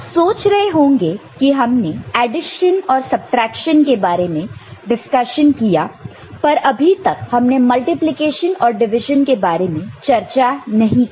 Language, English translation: Hindi, You may have wondered, we were discussing addition and subtraction and we have not touched multiplication and division